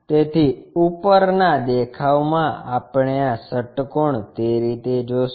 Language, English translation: Gujarati, So, in the top view, we will see this hexagon in that way